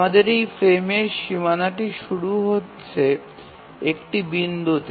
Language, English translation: Bengali, So we have the frame boundary starting at this point